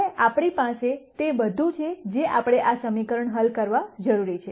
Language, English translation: Gujarati, Now we have everything that we need to solve at this equation